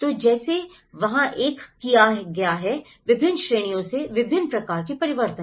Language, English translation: Hindi, So, like that, there has been a variety of changes from different categories